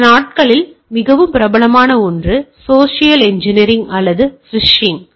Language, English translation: Tamil, A very popular one this days is a social engineering or phishing